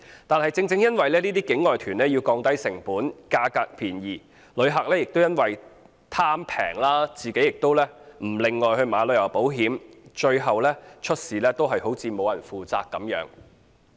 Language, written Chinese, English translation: Cantonese, 但是，正正因為這些境外團要降低成本，價格要便宜，旅客亦因為貪便宜，自己亦不另購旅遊保險，最後出事便沒有人負責。, However as such outbound tour groups aim to reduce costs and offer low prices and penny - pinching travellers fail to separately take out travel insurance ultimately no one will be held accountable in case of an accident